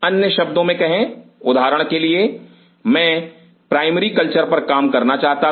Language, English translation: Hindi, in other word say for example, I wanted to work on primary cultures